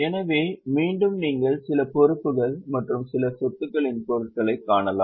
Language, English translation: Tamil, So, again you can see certain items of liabilities and certain items of assets